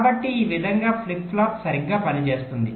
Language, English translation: Telugu, so so in this way the flip flop will go on working right